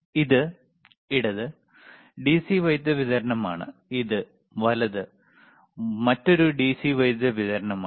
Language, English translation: Malayalam, This one is DC power supply, this is another DC power supply